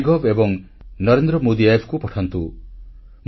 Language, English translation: Odia, Can you post on NarendraModiApp